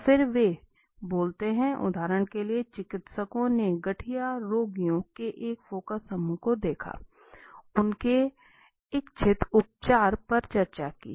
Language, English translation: Hindi, And then they speak up, for example physicians viewed a focus group of arthritis patients right, discussing the treatment they desired